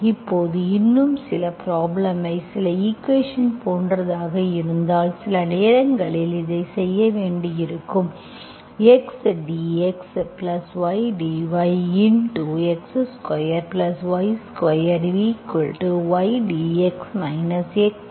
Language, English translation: Tamil, Let us pick up some equation, if we have like this, sometimes you may have to do like this, x dx plus y dx, x dx plus y dy into x square plus y square equal to y dx minus x dy